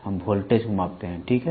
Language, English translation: Hindi, We measure voltage, ok